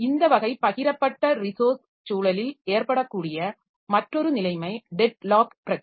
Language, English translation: Tamil, Another situation that can occur in this type of shared resource environment is the problem of deadlock